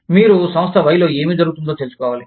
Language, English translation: Telugu, You will need to know, what is happening in Firm Y